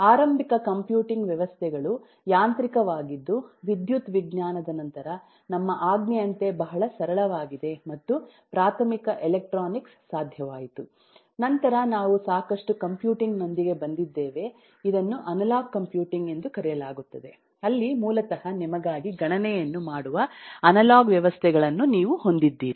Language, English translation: Kannada, after electrical sciences came under our command and elementary electronics was possible, then we came up with lot of computing, which is known as analog computing, where basically you had analog systems doing the computation for you